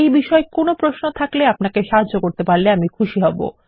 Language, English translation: Bengali, If you have any questions on this Ill be more than happy to help